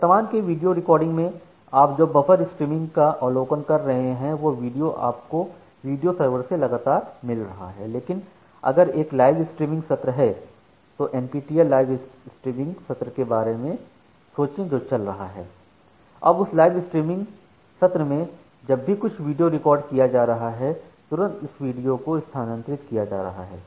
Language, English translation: Hindi, So, currently you are observing something called a buffer streaming because the video has been recorded and you are getting the video from the video server, but if there is a live streaming session just think of an NPTEL live streaming session which is going on